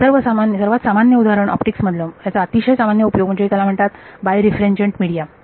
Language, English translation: Marathi, And the most common example in the most common use of this is in optics what is called birefringent media